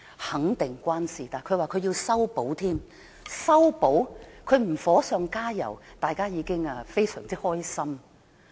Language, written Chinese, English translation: Cantonese, 肯定與她有關，她更說要修補，但她不"火上加油"，大家已感到非常開心。, She definitely is . She vows to mend the cleavage . But people should already rejoice if she does not seek to fuel the fire